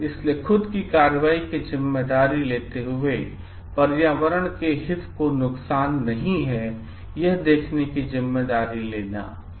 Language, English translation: Hindi, So, taking the responsibility of ones own action, taking the responsibility to see the interest of the environment is not harmed